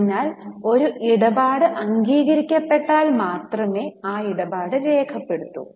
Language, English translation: Malayalam, So, only in case of realization of a transaction, the transaction is recorded